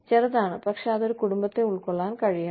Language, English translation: Malayalam, Small, but that should be able to accommodate a family